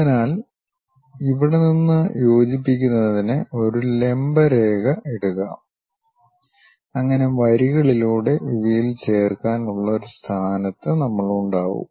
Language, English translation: Malayalam, So, from here drop a perpendicular to connect it so that, we will be in a position to join these by lines